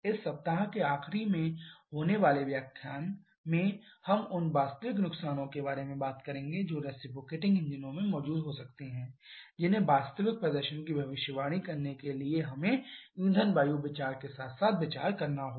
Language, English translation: Hindi, In the next lecture which is going to be the last of this week we shall be talking about the actual losses that can be present in the reciprocating engine which we have to consider along with the fuel air consideration to predict the actual performance